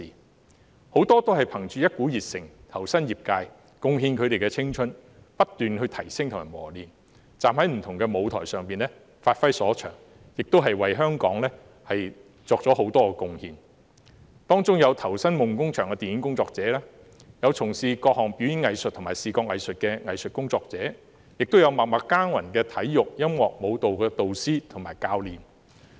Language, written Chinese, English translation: Cantonese, 他們有很多是憑着一股熱誠投身業界，貢獻他們的青春，不斷提升及磨練自己，站在不同的舞台上發揮所長，亦為香港作出了很多貢獻，當中有投身夢工場的電影工作者，有從事各項表演藝術和視覺藝術的藝術工作者，亦有默默耕耘的體育、音樂和舞蹈導師和教練。, Many of them joined the sector with enthusiasm devoting their youth making continuous efforts to upgrade and train themselves giving play to their strengths on different stages and making a lot of contributions to Hong Kong . Among them there are film workers devoted to the dream workshop arts workers engaged in various types of performing arts and visual arts as well as sports music and dance instructors and coaches who keep working quietly and assiduously